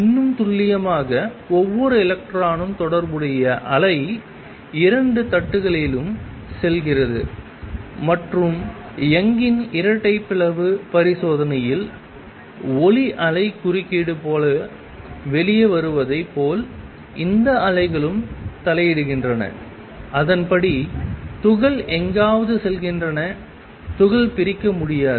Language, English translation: Tamil, More precisely the wave associated each electron goes through both the plates and when it comes out just like light wave interference in the double Young's double slit experiment, these waves also interfere and then accordingly particle go somewhere, particle cannot be divided